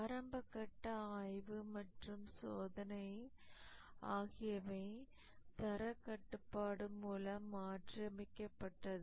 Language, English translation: Tamil, The initial inspection and testing were superseded by quality control